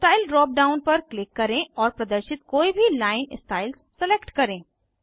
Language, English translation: Hindi, Click on Style drop down and select any of the line styles shown